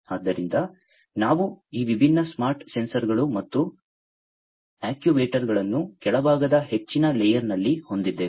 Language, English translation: Kannada, So, we have these different smart sensors and actuators in the bottom most layer